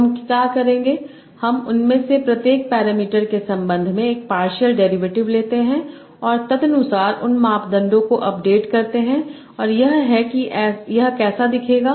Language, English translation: Hindi, So what I will do I take a partial derivative with respect to each of these parameters and accordingly update those parameters